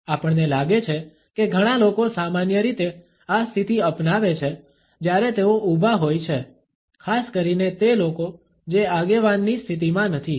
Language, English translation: Gujarati, We find that a lot of people normally adopt this position while they are is standing, particularly those people who are not in a position of a leader